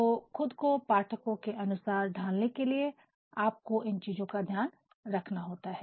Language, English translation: Hindi, So, if you adapt to the audience you have to take these things into consideration